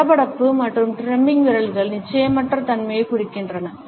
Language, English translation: Tamil, Fluttering and drumming fingers indicate uncertainty